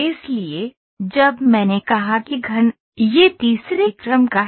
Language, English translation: Hindi, So, moment I said cubic, it is the third order